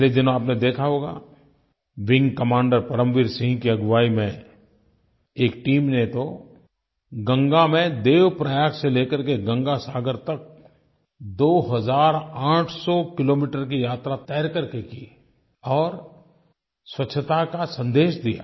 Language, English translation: Hindi, It might have come to your notice some time ago that under the leadership of Wing Commander Param Veer Singh, a team covered a distance of 2800 kilometres by swimming in Ganga from Dev Prayag to Ganga Sagar to spread the message of cleanliness